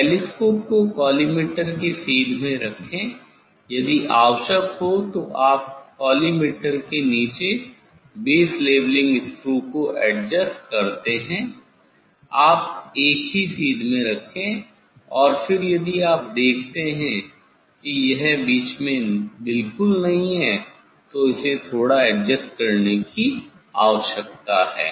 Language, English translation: Hindi, place the telescope in same line of the collimator now, adjust the base leveling screw below the collimators if necessary, you keep in same line and then, if you see that it is not exactly in middle it need to adjust slightly